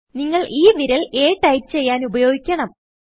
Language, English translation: Malayalam, You need to use that finger to type a